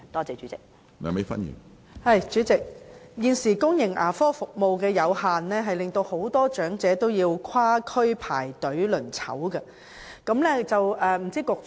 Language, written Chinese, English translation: Cantonese, 主席，現時公營牙科服務有限，很多長者都需要跨區排隊候診。, President due to the limited provision of public dental services many elderly persons have to queue for consultation across districts